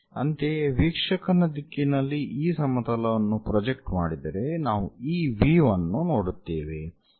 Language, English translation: Kannada, Similarly, projection of this plane onto that observer direction we will see this view